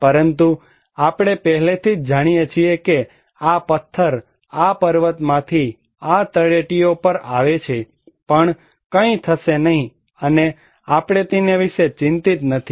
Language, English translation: Gujarati, But we already know that even this stone coming from this mountain to these foothills, nothing will happen and we are not worried about it